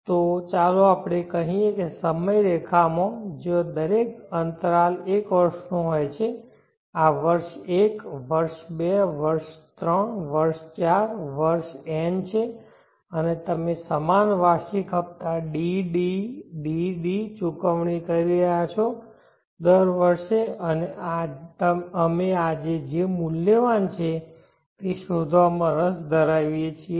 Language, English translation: Gujarati, So let us say in this time line where each interval is one year this is year 1, year 2, year 3, year 4, year n and you are paying equal annual installments DDDD at the end of every year, and we are interested to find what is the present worth today